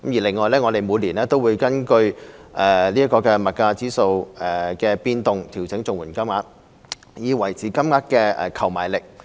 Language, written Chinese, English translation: Cantonese, 另外，我們每年都會根據物價指數的變動調整綜援金，以維持金額的購買力。, Besides CSSA payment rates are adjusted every year based on price index movements so as to maintain the purchasing power of the payments